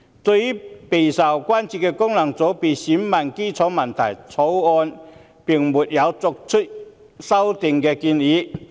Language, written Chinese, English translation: Cantonese, 就備受關注的功能界別選民基礎問題，《條例草案》並沒有作出修訂建議。, The Bill has not proposed any amendment in regard to the electorate of FCs which is an issue of widespread concern